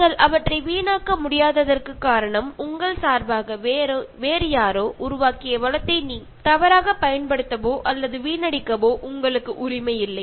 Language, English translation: Tamil, The reason why you cannot waste them is that, you have no right to misuse or waste resource created by somebody else on your behalf